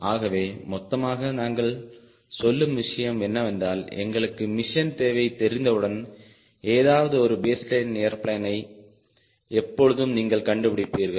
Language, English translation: Tamil, so the whole point, what we are contesting is, once we have got a machine requirement, you can always find out some baseline airplane